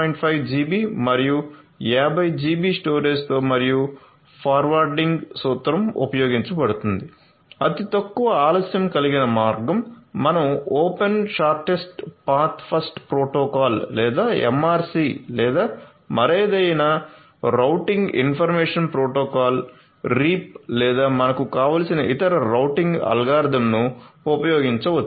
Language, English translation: Telugu, 5 GB and 50 GB storage and the forwarding principle will be using the shortest delay path, you could use any other routing algorithm you as well like your open shortest path, first protocol or MRC or you know any other routing information protocol reap or whatever you want